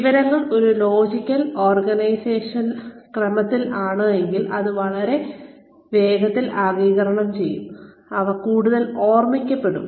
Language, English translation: Malayalam, The information, if it is in a logical order, it will be absorbed much faster, and it will be remembered more